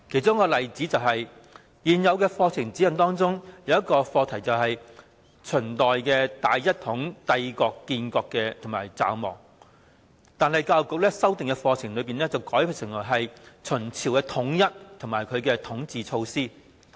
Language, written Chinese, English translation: Cantonese, 在現有課程指引中，有一項課題是"秦代大一統帝國的建立與驟亡"，但在教育局修訂的課程中，卻把它改為"秦朝的統一及其統治措施"。, In the current curriculum there is a topic on the rise and sudden collapse of the grand unified empire of Qin but in the revised curriculum the Education Bureau has changed it to the unification of the Qin Dynasty and its governance measures